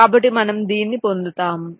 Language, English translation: Telugu, so you get this with